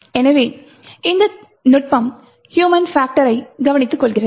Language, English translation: Tamil, So, this technique also takes care of human factor as well